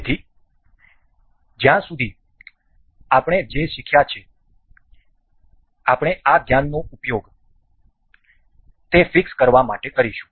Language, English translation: Gujarati, So, as far as what we have learned, so we will use those this knowledge to fix this